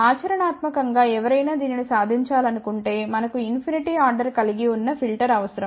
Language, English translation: Telugu, Practically if somebody wants to achieve this we would require a filter of the order of infinity